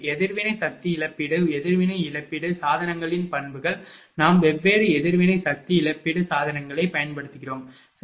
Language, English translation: Tamil, And the characteristics of reactive power compensation reactive compensation devices we use different reactive power compensation devices, right